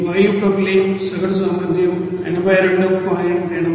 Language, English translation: Telugu, The average capacity of gaseous propylene is 82